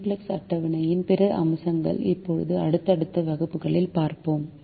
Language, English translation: Tamil, other aspects of the simplex table we will now see in subsequent classes